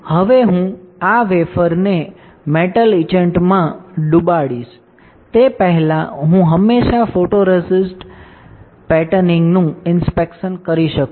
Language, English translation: Gujarati, Now, before I dip this wafer in metal etchant I can always do the inspection of the photoresist patterning